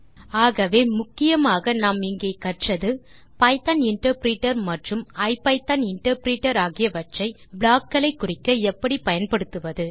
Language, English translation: Tamil, so the main thing we learnt here is how to use the Python interpreter and the IPython interpreter to specify blocks